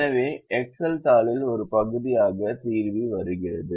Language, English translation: Tamil, so the solver comes as part of the excel sheet